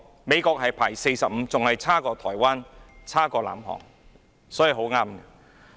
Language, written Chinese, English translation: Cantonese, 美國排名第四十五位，比台灣、南韓排名更後。, The United States ranked 45 even lower than that of Taiwan and South Korea